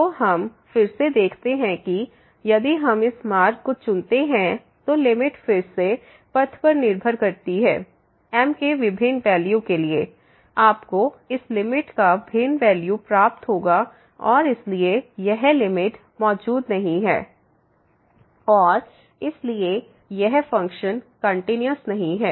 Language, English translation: Hindi, So, again we see that if we choose this path, then the limit depends on the path again; for different values of you will get a different value of this limit and therefore, this limit does not exist and hence this function is not continuous